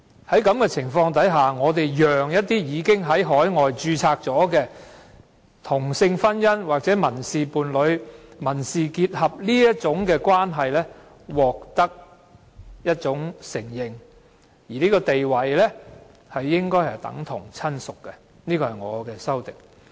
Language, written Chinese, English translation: Cantonese, 在這種情況下，我們讓該等已經在海外註冊的同性婚姻、民事伴侶或民事結合的關係獲得承認及地位應等同親屬，而這就是我提出的修正案。, Under such circumstances the other party in a marriage civil partnership or civil union with the deceased in which that other party and the deceased are of the same sex and which was registered outside Hong Kong should be recognized and given a status comparable to a relative . This is the purpose of my proposed amendment